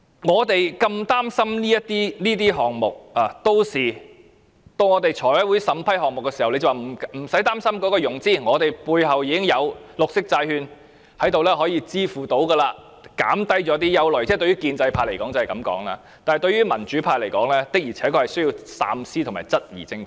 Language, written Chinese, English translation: Cantonese, 我們如此擔心這些項目，到財務委員會審批項目時，他們會說不用擔心融資問題，我們背後已經有綠色債券，能夠支付，可減低一些憂慮——建制派方面會這樣說——但對民主派來說，的確是需要三思和質疑政府的。, We are so worried about these projects . When these projects are vetted by the Finance Company they will say there is no need to worry about financing . They are backed by green bonds which can settle the payment and allay concerns―the pro - establishment camp will put it this way―but in the view of the pro - democracy camp we really need to think carefully and question the Government